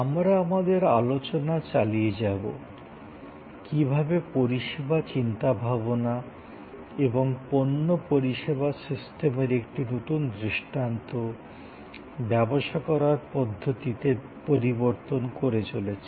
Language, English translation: Bengali, We will continue our discussion, how service thinking and a new paradigm of product service systems are changing the way businesses are done